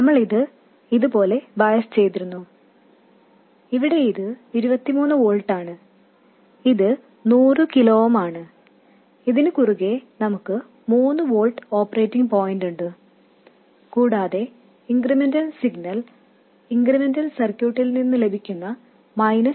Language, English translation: Malayalam, S and we had biased it like this, where this is 23 volts, this is 100 kilo o ooms, and across this we have an operating point of 3 volts and the incremental signal is nothing but minus GMRL VS that we get from the incremental circuit